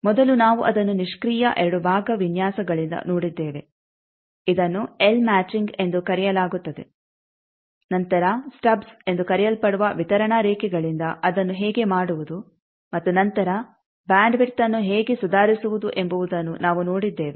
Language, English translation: Kannada, First we have seen it by passive two part designs L matching that is called then, we have seen by distributed lines that is called stubs, how to do that and then how to improve the bandwidth